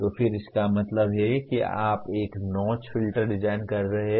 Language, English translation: Hindi, So again that means you are now designing a notch filter